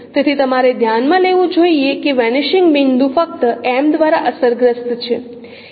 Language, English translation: Gujarati, So you should note that vanishing point is only affected by M